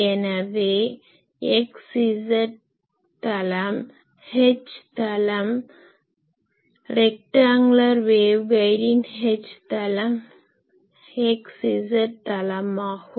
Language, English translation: Tamil, So, x z plane will be the H plane, H plane is for rectangular wave guide it is x z plane